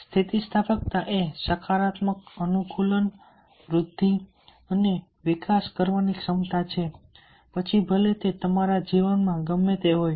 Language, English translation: Gujarati, resilience is the ability to positively adopt, grow and thrive no matter what rides into your life